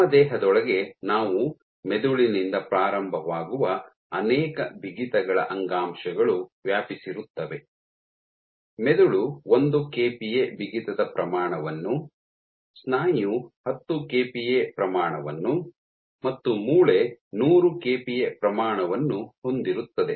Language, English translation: Kannada, So, within our body we span tissues of multiple stiffness starting from brain which is order 1 kPa in stiffness, muscle order 10 kPa and bone order 100 kPa